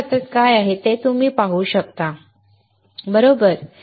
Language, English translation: Marathi, You can see what I have in my hand, right